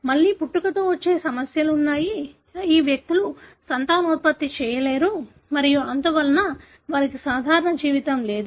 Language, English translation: Telugu, Again, there are congenital issues, these individuals cannot be fertile and so on; they are not having a normal life